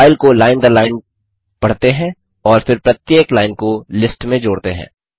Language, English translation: Hindi, Let us then read the file line by line and then append each of the lines to the list